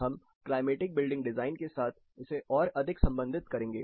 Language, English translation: Hindi, We will relate it more with climatic building design